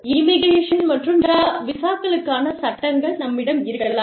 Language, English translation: Tamil, We could have, laws for immigration and visas